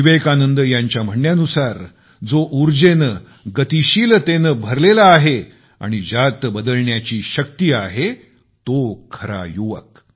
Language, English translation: Marathi, According to Vivekanand ji, young people are the one's full of energy and dynamism, possessing the power to usher in change